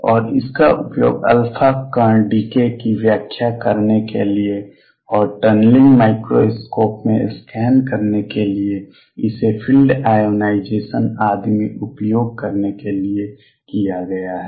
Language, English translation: Hindi, And this has been used to explain alpha particle decay and to make scan in tunneling microscope use it in field ionization and so on